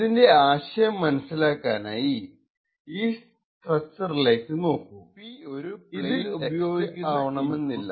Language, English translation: Malayalam, The central idea for this is to look at this structure, this structure comprises of some input which we denote P